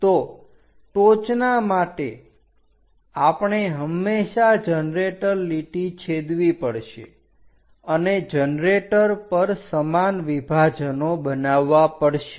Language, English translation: Gujarati, So, for the top one, we always have to intersect generator generator line and the equal division made on one of the generator